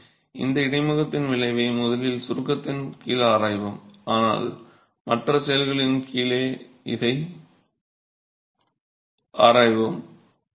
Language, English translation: Tamil, So we will examine the effect of this interface in the behavior first under compression but we'll be examining this under other actions as well